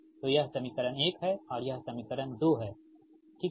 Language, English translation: Hindi, so this equation is one and this equation is two right